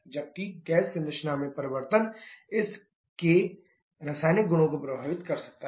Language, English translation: Hindi, Whereas the change in the gas composition can affect the chemical properties of this